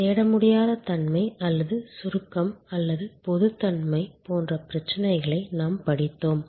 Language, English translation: Tamil, We studied the kind of problems that are raise, like non searchability or abstractness or generality and so on